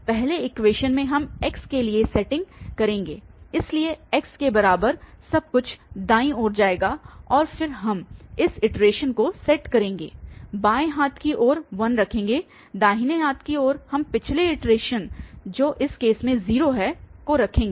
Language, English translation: Hindi, We will, in the first equation we will set for x, so x equal to everything will go to the right hand side and then we will set up this iteration the left hand side will put 1, the right hand side we will put the previous iteration that is 0 in this case